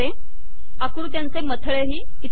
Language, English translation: Marathi, All the figure captions will appear here